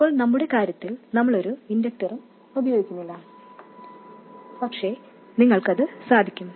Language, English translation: Malayalam, In our case we are not using any inductors but you could